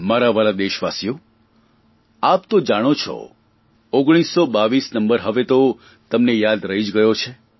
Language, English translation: Gujarati, My dear countrymen, you already know that number 1922 …it must have become a part of your memory by now